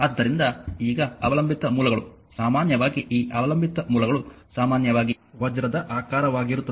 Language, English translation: Kannada, So, now dependent sources are usually these dependent sources are usually a diamond shape